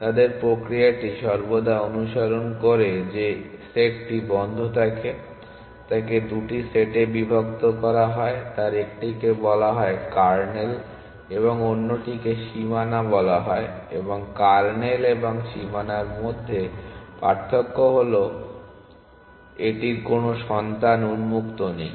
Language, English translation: Bengali, Their mechanism always follows that the set closed is partitioned into 2 sets 1 is called, the kernel and the other is called the boundary and the way to distinguish between the kernel and the boundary is that this has no children on open